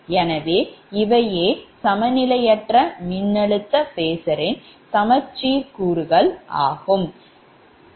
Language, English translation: Tamil, so these symmetrical components of your unbalanced voltage phasor, so easily you can make this one